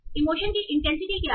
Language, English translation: Hindi, So what is the intensity of the emotion